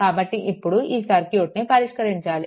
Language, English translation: Telugu, So, now, we have to we have to solve this circuit